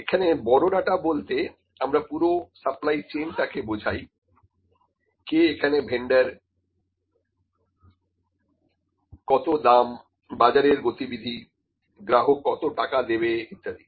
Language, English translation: Bengali, So, big data is whole supply chain, who is the vendor, what are the prices, what are the market trends and what would the, what would customer like to pay